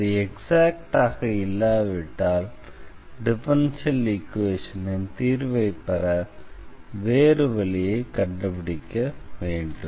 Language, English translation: Tamil, And if it is not exact then we have to find some other way or to get the solution of the differential equation